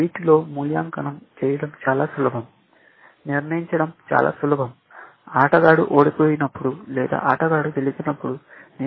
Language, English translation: Telugu, Essentially easy to evaluate, it is very easy to decide; the rules tell you when a player wins when a player loses